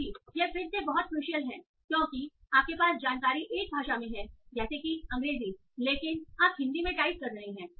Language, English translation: Hindi, So this is again very crucial right now right now because you are having your information in one language like, say, English, but you are typing in Hindi